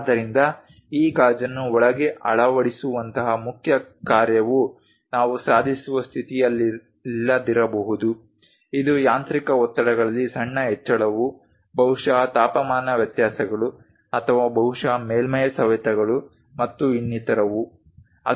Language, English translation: Kannada, So, the main functionality like fitting this glass inside that we may not be in a position to achieve, it a small increase in mechanical stresses perhaps temperature variations, or perhaps surface abrasions and other things